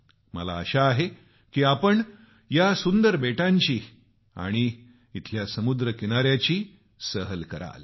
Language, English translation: Marathi, I hope you get the opportunity to visit the picturesque islands and its pristine beaches